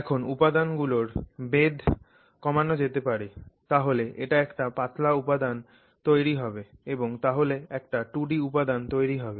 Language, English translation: Bengali, Now you can start reducing thickness of this material and then if it becomes a really thin material then essentially it is a two dimensional material